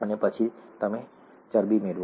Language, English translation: Gujarati, Then you get fat